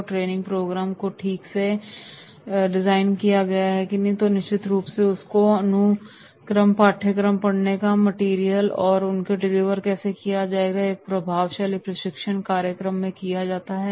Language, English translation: Hindi, And if the training program is designed properly then definitely in that case the sequence, the content, the study material, the delivery then definitely in that case that will be an effective training program